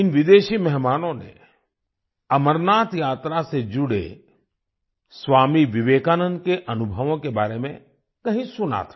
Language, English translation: Hindi, These foreign guests had heard somewhere about the experiences of Swami Vivekananda related to the Amarnath Yatra